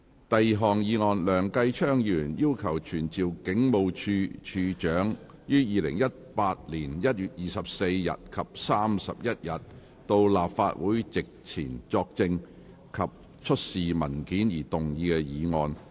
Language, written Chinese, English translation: Cantonese, 第二項議案：梁繼昌議員要求傳召警務處處長於2018年1月24日及31日到立法會席前作證及出示文件而動議的議案。, Second motion Motion proposed by Mr Kenneth LEUNG requesting to summon the Commissioner of Police to attend before the Council on 24 January 2018 and 31 January 2018 to testify and to produce the relevant documents